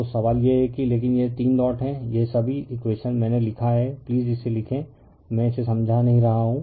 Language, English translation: Hindi, So, question is that, but this 3 dots are there this all this equations, I have written right you please write it I am not explain it